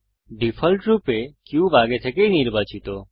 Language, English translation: Bengali, By default, the cube is already selected